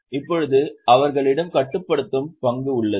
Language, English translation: Tamil, Now, they have the controlling stake